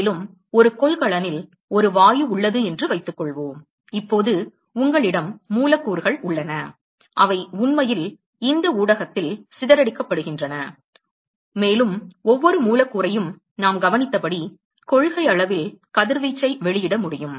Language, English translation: Tamil, And, supposing there is a gas which is place in a container, now you have molecules which are actually dispersed in this medium and as we observed every molecule, in principle, can emit radiation